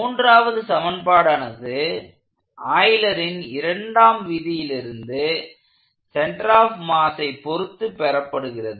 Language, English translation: Tamil, And the third equation comes from applying the laws of Euler’s second law about the center of mass